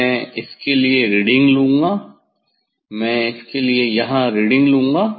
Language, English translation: Hindi, I will take reading for this; I will take reading for this here